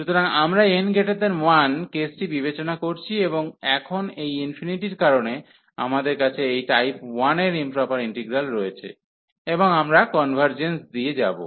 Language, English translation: Bengali, So, we are considering the case n greater than 1 and because of this infinity now, we have this improper integral of type 1, and we will go through the convergence